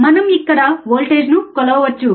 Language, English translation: Telugu, wWe have we can measure the voltage here